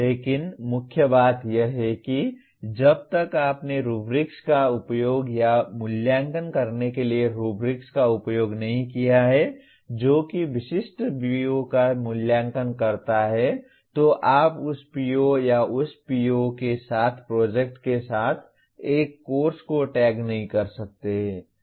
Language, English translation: Hindi, But the main thing is unless you have used rubrics to evaluate or include rubrics that evaluates specific POs you cannot tag a course with that PO or the project with that PO